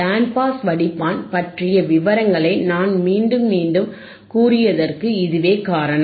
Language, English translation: Tamil, That is why this is athe reason that we have why I have told you againrepeated the details about the band pass filter,